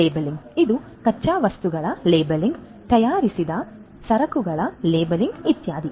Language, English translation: Kannada, Labeling; labeling of these raw materials labeling of the manufactured goods etcetera